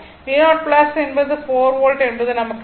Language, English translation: Tamil, So, as v 0 plus is 4 volt we known